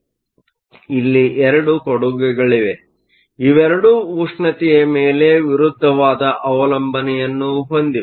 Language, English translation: Kannada, So, we have two contributions both of which have an opposite dependence on temperature